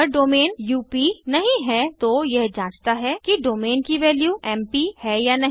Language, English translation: Hindi, If domain is not UP, it checks whether the value of domain is MP